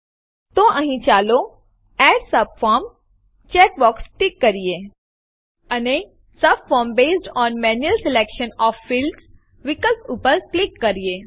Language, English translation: Gujarati, So here, let us check the Add subform checkbox, And click on the option: Subform based on manual selection of fields